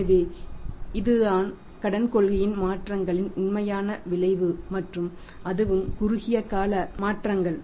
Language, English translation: Tamil, So, this is the actual effect of this is the actual effect of changes in the credit policy and that to the short time changes